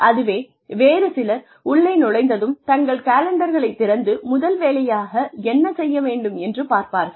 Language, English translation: Tamil, There are others, who will come in, and immediately open their calendars, to see what they need to do first